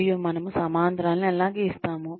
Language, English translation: Telugu, And, how do we draw parallels